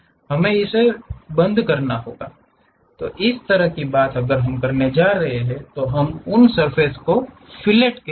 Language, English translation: Hindi, We want to round it off, such kind of thing if we are going to do we call fillet of that surfaces